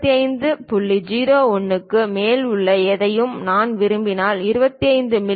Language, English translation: Tamil, 01 is preferred, but if I go below 25